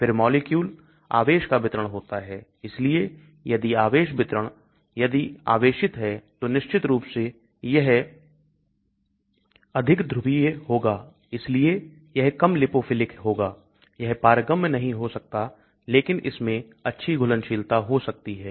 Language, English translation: Hindi, Then the charge distribution of the molecule , so if the charge distribution if it is very charged of course it will be more polar, so it will be less lipophilic, it may not get permeabilize but it may have good solubility